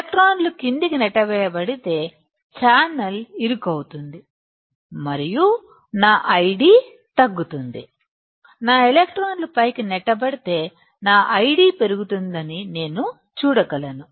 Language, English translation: Telugu, If electrons are pushed down, the channel will be narrowed and my I D will be decreasing, if my electrons are pushed up I can see my I D increasing